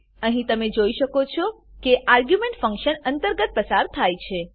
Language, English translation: Gujarati, Here you can see that we have passed the arguments within the function